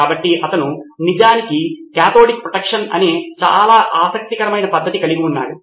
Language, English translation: Telugu, So he actually had a very interesting technique called cathodic protection